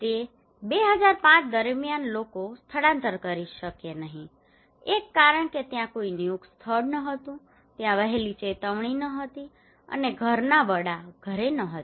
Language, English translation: Gujarati, So people could not evacuate during 2005 one reason that there was no designated place there was no early warning and the head of the household was not at house